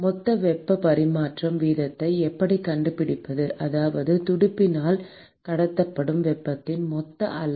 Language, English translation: Tamil, How do we find the total heat transfer rate, that is the total amount of heat that is transported by the fin